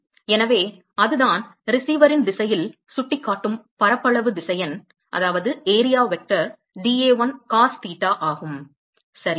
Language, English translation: Tamil, So, that is the, so the area vector which is pointing in the direction of the receiver is dA1 into cos theta ok